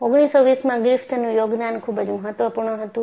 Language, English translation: Gujarati, So, the contribution of Griffith in 1920 was very important